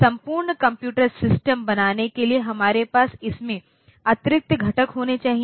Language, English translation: Hindi, So, to make the complete computer system we should have the additional components in it